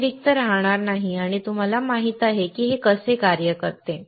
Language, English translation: Marathi, You will not be blank and you know this is how it works